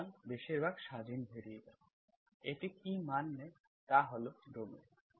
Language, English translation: Bengali, So mostly independent variables, what the values it takes is the domain